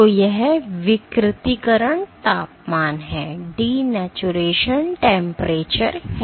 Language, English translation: Hindi, So, denaturation temperature